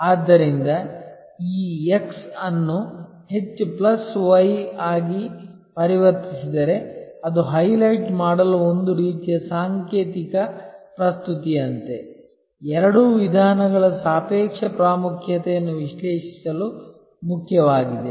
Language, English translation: Kannada, So, if this x into MOST plus y it is just like a kind of a symbolic presentation to highlight, that the relative importance of both approaches are important to analyze